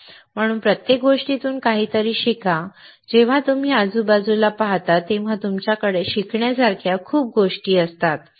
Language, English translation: Marathi, So, learn something from everything, right when you see around you have lot of things to learn